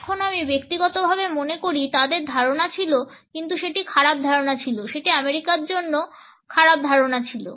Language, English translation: Bengali, Now, I personally think they had ideas, but they were bad ideas they were bad ideas for America all of the